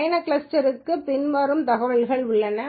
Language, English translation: Tamil, Trip cluster has the following information